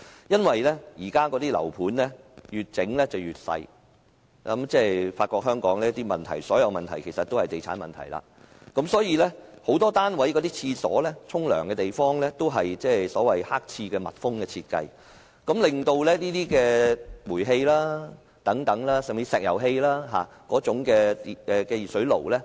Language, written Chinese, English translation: Cantonese, 由於現今的住宅單位越建越小——我發覺香港所有問題其實都是地產問題——很多單位的廁所或浴室都是密封設計的"黑廁"，不能安裝煤氣或石油氣熱水爐。, As the residential units today are becoming smaller―I found that all problems in Hong Kong are actually real estate problems―the toilets or bathrooms in many units are dark toilets of enclosed design which are unsuitable for installing gas or LPG water heaters